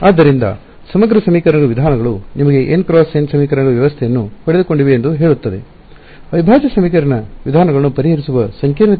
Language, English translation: Kannada, So, integral equation methods say you got a n by n system of equations, what was the complexity of solving integral equation methods